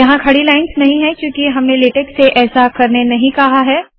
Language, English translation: Hindi, I dont have the vertical lines thats because I didnt tell latex to do that